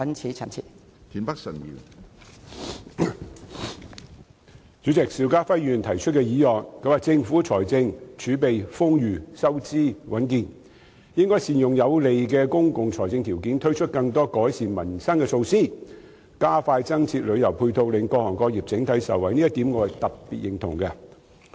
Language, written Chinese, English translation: Cantonese, 主席，邵家輝議員提出的議案指政府的財政儲備豐裕，收支穩健，應該善用這有利的公共財政條件，推出更多改善民生的措施，並加快增設旅遊配套，令各行各業整體受惠，我對這點特別認同。, President the motion proposed by Mr SHIU Ka - fai states that given the Governments ample fiscal reserves and fiscal stability it should make good use of this favourable state of public finance for launching more measures to improve peoples livelihood and expedite the provision of additional tourism supporting facilities so that various sectors and industries can be benefited as a whole . I especially agree with this point